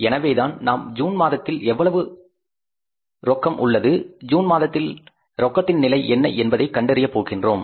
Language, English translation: Tamil, That is why we will be finding out that how much is the what is the cash position in the month of June